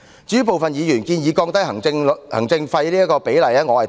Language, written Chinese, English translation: Cantonese, 至於部分議員建議降低行政費的比例，我是贊同的。, As for the proposal of lowering the rate of administration fees I agree with this